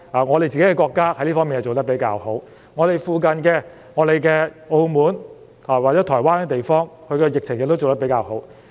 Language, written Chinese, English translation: Cantonese, 我們國家在這方面做得比較好，而鄰近的澳門及台灣處理疫情的工作亦做得比較好。, Our country has done quite well in this regard and our neighbours Macao and Taiwan have also handled the pandemic comparatively well